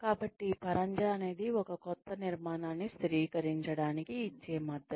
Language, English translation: Telugu, So, scaffolding is the support, that one gives, in order to, stabilize a new structure